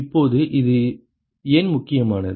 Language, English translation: Tamil, Now, why is this important